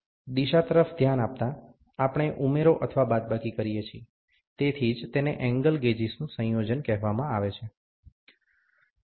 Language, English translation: Gujarati, Looking into the direction, we either add or subtract, so that is why it is called as the combination of angle gauges